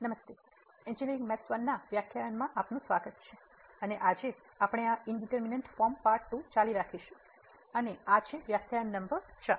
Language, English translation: Gujarati, Hai, welcome to the lectures on Engineering Mathematics I and today we will be continuing this Indeterminate Form Part 2 and this is lecture number 4